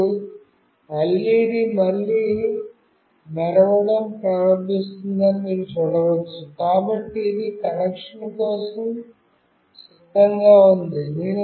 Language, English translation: Telugu, And you can see that the LED has started to blink again, so it is ready for connection